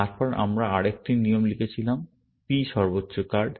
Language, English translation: Bengali, Then, we had written another rule, P highest card